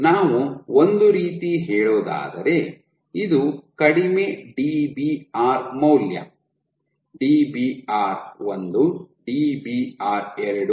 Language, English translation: Kannada, So, this is let us say lowest Dbr value Dbr 1, Dbr 2, Dbr 3